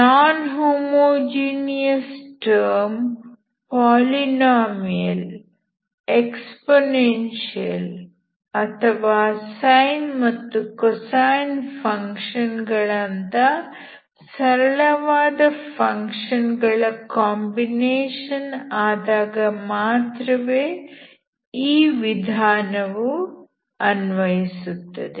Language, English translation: Kannada, So this only works non homogeneous term which is the combination of simple functions like polynomials, exponential and sin and cosine only